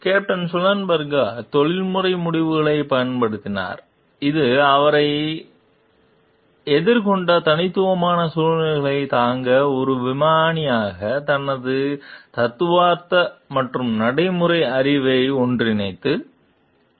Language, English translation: Tamil, Captain Sullenberger exercised professional judgment that brought together his theoretical and practical knowledge as a pilot to bear on the unique circumstances that faced him